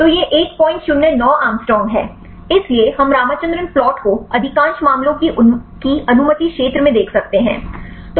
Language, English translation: Hindi, 09 angstrom; so we can see Ramachandran plot most of the cases in the allowed region